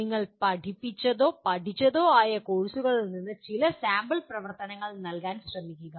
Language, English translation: Malayalam, From the courses that you have taught or learnt, try to give some sample activities